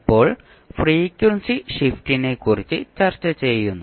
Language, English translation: Malayalam, Now, then, we discuss about frequency shift